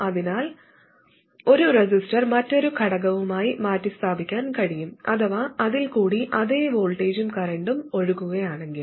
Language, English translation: Malayalam, So essentially a resistor can be replaced by another element which has the same voltage and current across it